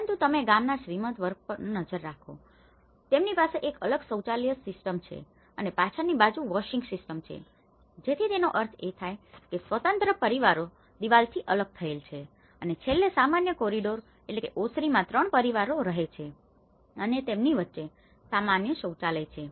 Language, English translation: Gujarati, But you look at it the wealthy class of the village, they have a detached toilet system and detached washing systems towards the rear side so which means though the independent families are segregated by wall and the common corridors at the end like you have the 3 families living like this but they have a common toilet